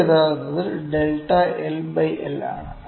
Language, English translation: Malayalam, So, this is actually delta L by L